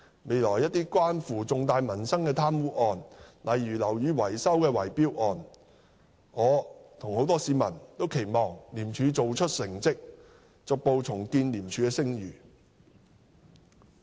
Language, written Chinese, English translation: Cantonese, 未來在一些關乎重大民生的貪污案，例如樓宇維修的圍標案，我與市民大眾均期望廉署做出成績，逐步重建廉署的聲譽。, For cases of corruption relating to major livelihood issues in future such as bid rigging in building repair works members of the public and I expect ICAC to achieve good results in order to gradually rebuild the reputation of ICAC